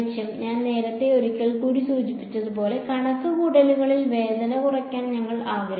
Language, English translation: Malayalam, As I mentioned once again earlier we want to reduce pain in calculations